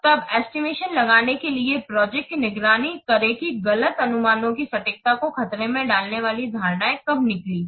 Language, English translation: Hindi, Then monitor the project to detect when assumptions that turned out to be wrong jeopardize the accuracy of the estimate